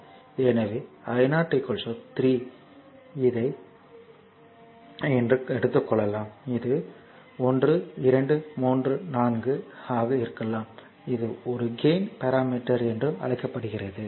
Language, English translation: Tamil, So, i 0 equal 3 your what you call this 3 i have taken 3 it may be 1 2 3 4 it does not matter this is also called gain parameter